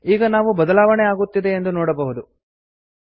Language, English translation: Kannada, Now we can see that changes are applying